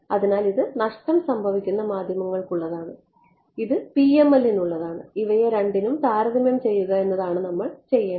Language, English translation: Malayalam, So, this is for lossy media and this is for PML and what we want to do is compare these two characters